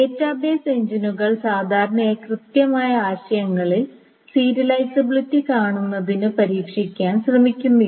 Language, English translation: Malayalam, So the database engines generally do not try to test for views serializability in the exact notion